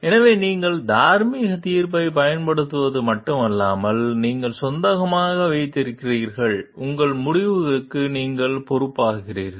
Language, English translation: Tamil, So, you not only exercise moral judgment, but you also own up, you take responsibility for your decisions